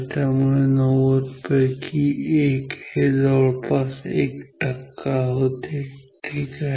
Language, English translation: Marathi, So, one out of 90 is almost like 1 percent ok